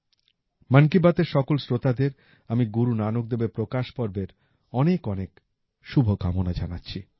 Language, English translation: Bengali, I convey my very best wishes to all the listeners of Mann Ki Baat, on the Prakash Parv of Guru Nanak DevJi